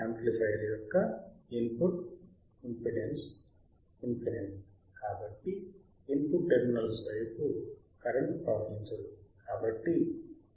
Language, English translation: Telugu, As a input impedance of the amplifier is infinite, there is no current flowing towards the input terminals